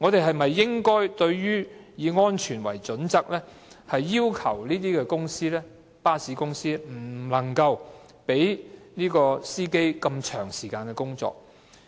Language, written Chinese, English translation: Cantonese, 我們應否基於安全的考慮，要求巴士公司不能讓車長長時間工作？, Should we for safety considerations impose a requirement that bus companies cannot make their bus captains work for long hours?